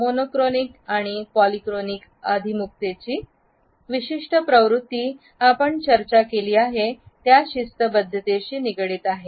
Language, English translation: Marathi, Certain tendencies of monochronic and polychronic orientations which we have already discussed are related with punctuality